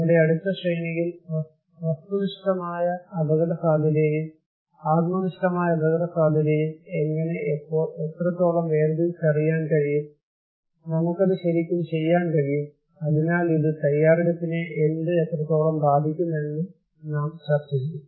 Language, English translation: Malayalam, In our next series, we will discuss on this aspect that how, when, what extent we can distinguish between objective risk and subjective risk and can we really do it, so and what and how extent it will affect the preparedness